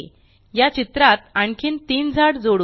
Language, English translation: Marathi, Lets add three more trees to this picture